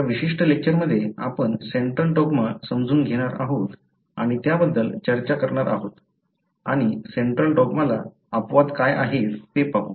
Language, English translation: Marathi, In this particular lecture we are going to understand and discuss Central Dogma and see what are the exceptions to central dogma